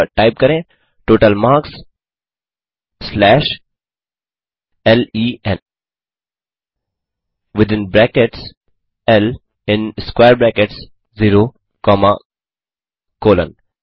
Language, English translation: Hindi, So type total marks slash len within brackets L in square brackets 0 comma colon